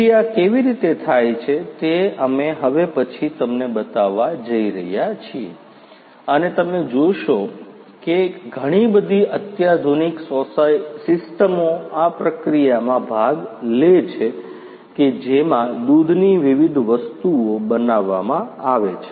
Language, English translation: Gujarati, So, how it is done this is what we are going to show you now and as you will see that you know lot of sophisticated system is involved in this processing of the milk to different products